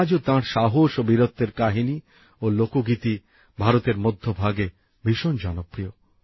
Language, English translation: Bengali, Even today folk songs and stories, full of his courage and valour are very popular in the central region of India